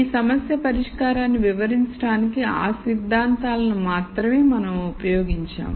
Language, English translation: Telugu, We have used only those concepts to illustrate solution to this problem